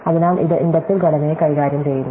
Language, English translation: Malayalam, So, this gives us a handle on the inductive structure